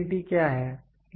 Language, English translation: Hindi, What is readability